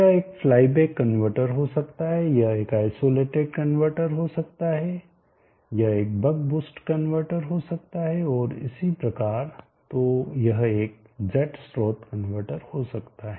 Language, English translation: Hindi, It could be a play back converter it could be isolated converter it could be a buck boost converter so on and so, it could be a z source converter